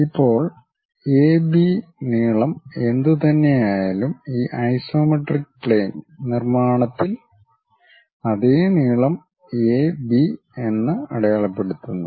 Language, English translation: Malayalam, Now, whatever the length AB, the same length mark it as A and B on this isometric plane construction